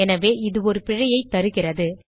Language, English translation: Tamil, Hence it is giving an error